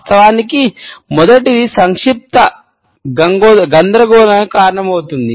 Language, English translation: Telugu, Of course, the first one is that brevity can cause confusion